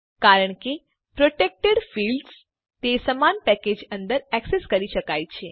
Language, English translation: Gujarati, This is because protected fields can be accessed within the same package